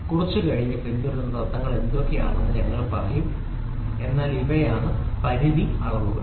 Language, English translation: Malayalam, We will say what are the principles followed a little later, but these are the limit gauges